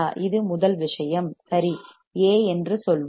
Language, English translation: Tamil, This is first thing all right, let us say A